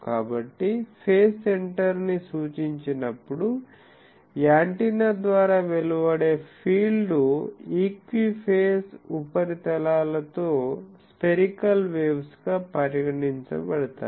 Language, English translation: Telugu, So, when reference to the phase center the fields radiated by the antenna are considered to be spherical waves with equi phase surfaces